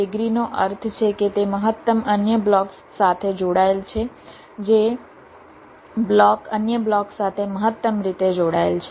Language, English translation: Gujarati, degree means it is connected to maximum other blocks, the block which is maximally connected to other blocks